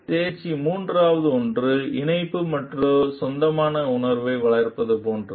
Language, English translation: Tamil, Third one of the competency is like fostering a sense of connection and belonging